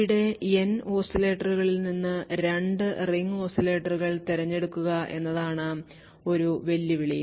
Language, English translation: Malayalam, So a challenge over here would essentially pick choose 2 ring oscillators out of the N oscillators